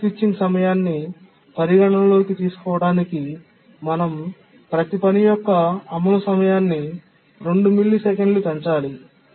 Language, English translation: Telugu, To take the context switching time into account, we need to increase the execution time of every task by 2 milliseconds